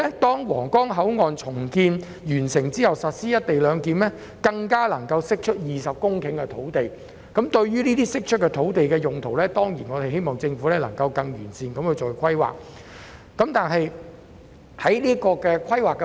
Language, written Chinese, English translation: Cantonese, 待皇崗口岸重建完成並實施"一地兩檢"後，該處更可釋出20公頃土地。面對這些釋出的土地，我們自然希望政府能夠作出更完善的用途規劃。, The implementation of co - location arrangement at the redeveloped Huanggang Port will release 20 hectares of land and we surely hope that the Government will formulate better land use plan for the released land